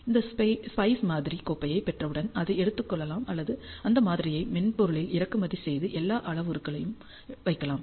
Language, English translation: Tamil, Once you get that SPICE model file you can take that model or import that model into the software can put in all the parameters